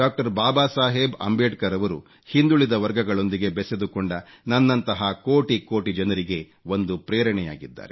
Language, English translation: Kannada, Baba Saheb Ambedkar is an inspiration for millions of people like me, who belong to backward classes